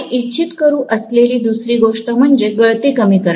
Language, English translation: Marathi, The second thing we would like to do is very clearly to reduce the leakage